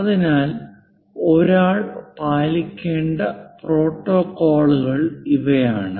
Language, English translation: Malayalam, So, these are the protocols which one has to follow